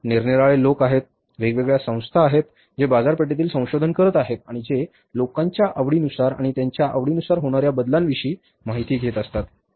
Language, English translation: Marathi, There are different people, different organizations who are into the research, market research and who keep on knowing about the changes in the taste and liking of the people over a period of time